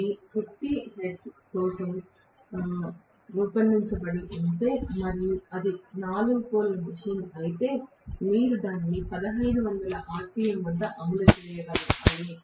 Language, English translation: Telugu, If they are designed for 50 hertz and if it is a 4 pole machine, you have to run it at 1500 rpm